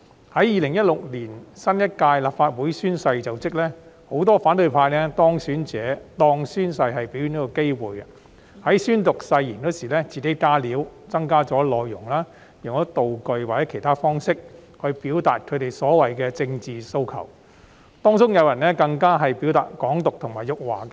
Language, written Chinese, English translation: Cantonese, 在2016年新一屆立法會宣誓就職時，很多反對派當選者將宣誓當成表演的機會，在宣讀誓言時自行"加料"增加內容、用道具或其他方式表達所謂的政治訴求，當中更有人宣揚"港獨"及辱華。, In the oath - taking ceremony of the new term of Legislative Council Members in 2016 many elected Members from the opposition camp used the oath - taking ceremony as a chance to perform by making additions to the oath when reading out the oath and expressing the so - called political demands with props or other means . Some of them even advocated Hong Kong independence and insulted China